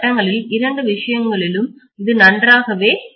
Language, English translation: Tamil, In both the case it will work quite well